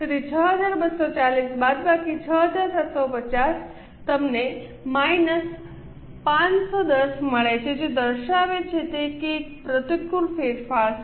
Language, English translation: Gujarati, So, 6 240 minus 6750 you get minus 510 indicating that it is an unfavorable variance